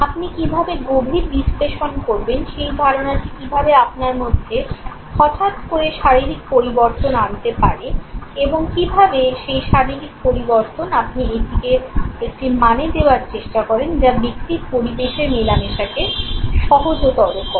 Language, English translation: Bengali, How you know go for an in depth analysis, how that perception induces sudden bodily changes within you, and how that bodily change you try to assign a meaning to it, which also in turn facilitates the personal environment interaction